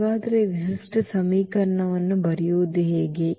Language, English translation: Kannada, So, how to write the characteristic equation